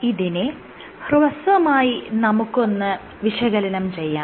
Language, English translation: Malayalam, Let me briefly explain what is this